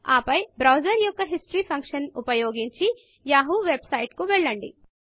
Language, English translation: Telugu, Then go to the yahoo website by using the browsers History function